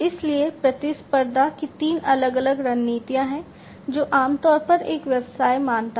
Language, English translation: Hindi, So, there are three different types of competing strategies that typically a business considers